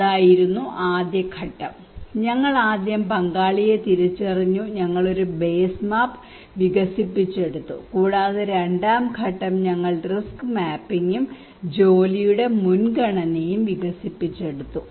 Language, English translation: Malayalam, That was the phase one and that we first identified the stakeholder and we developed a base map and also Phase two we developed a risk mapping and prioritisation of work